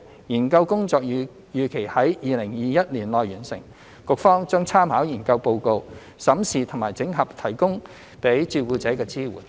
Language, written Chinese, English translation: Cantonese, 研究工作預期於2021年內完成，局方將參考研究報告，審視及整合提供予照顧者的支援。, The study is expected to be completed in 2021 . The Bureau will make reference to the study report and review and consolidate the support services provided to carers